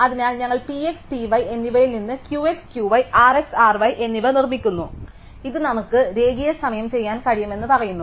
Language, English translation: Malayalam, So, we from P x and P y as we said we construct Q x, Q y and R x, R y and this we saw we can do linear time